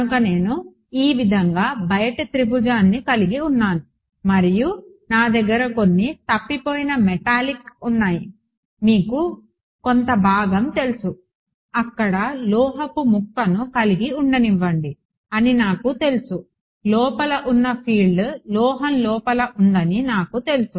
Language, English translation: Telugu, So, I had the outermost triangle like this and I had some missing metallic you know some part where I know let us have metal piece I know the field inside is inside the metal is